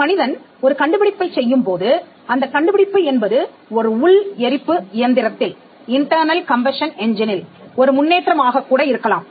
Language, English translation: Tamil, When a person comes up with an invention, the invention could be improvement in an internal combustion engine that could be an invention